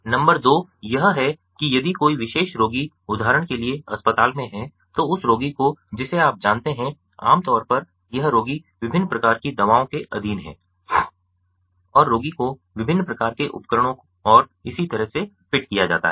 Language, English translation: Hindi, number two is that if a particular patient is in the hospital, for instance, then that patient, ah, you know, is typically you know, it is ah the, the patient is under different types of medications and the patient is fitted with different types of devices and so on